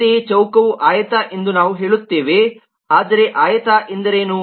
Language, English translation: Kannada, similarly, we will say square is a rectangle